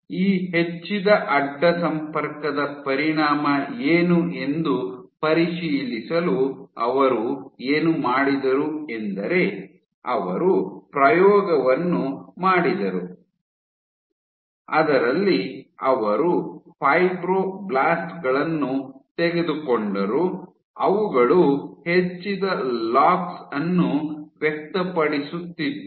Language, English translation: Kannada, So, to check what is the effect of this increased cross linking what they did was they did an experiment in which they took fibroblasts which were over expressing, these were expressing increased LOX